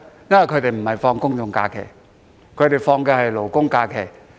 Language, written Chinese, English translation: Cantonese, 因為他們並不享有公眾假期，只享有勞工假期。, Because they are not entitled to general holidays but only labour holidays